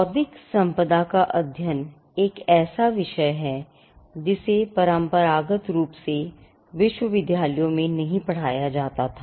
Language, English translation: Hindi, Intellectual property is not a subject that is traditionally taught in universities